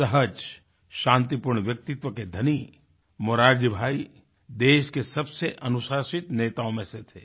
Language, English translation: Hindi, A simple, peace loving personality, Morarjibhai was one of the most disciplined leaders